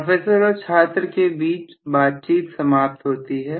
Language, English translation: Hindi, Conversation between professor and student ends